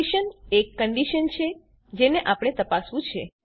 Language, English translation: Gujarati, The expression is the condition that has to be checked